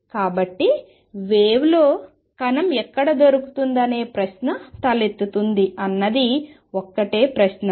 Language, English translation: Telugu, So, question arises where in the wave is the particle to be found